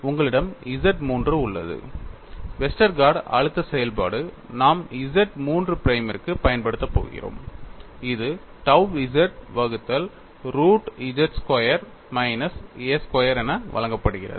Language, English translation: Tamil, You have X 3, the Westergaard stress function what we are going to use is for Z 3 prime that is given as tau z divided by root of z squared minus a squared